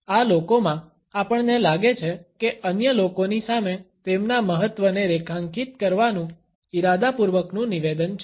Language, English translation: Gujarati, In these people, we find that it is a deliberate statement to underscore their significance in front of other people